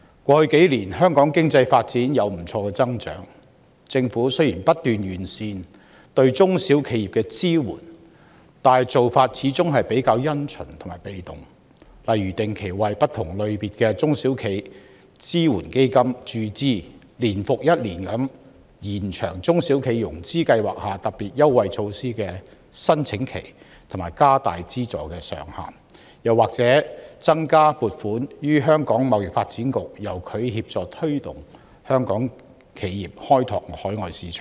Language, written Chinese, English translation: Cantonese, 過去數年，香港經濟發展有不錯的增長，政府亦不斷完善對中小企的支援，但做法始終比較因循和被動，例如只是定期為不同類型的中小企支援基金注資，年復年地延長中小企融資擔保計劃下特別優惠措施的申請期和調高資助上限，又或增加撥款予香港貿易發展局，由它協助推動香港企業開拓海外市場等。, Over the past few years Hong Kong has enjoyed quite a strong economic growth . The Government has incessantly strengthened its support to SMEs but its efforts tend to be conventional and passive . For example the Government has just made regular capital injection into different SME supporting funds extended the application periods of certain special concessionary measures and raised the funding ceilings under various SME financing schemes year after year or increased the provision to the Hong Kong Trade Development Council for providing assistance to local enterprises in opening up overseas market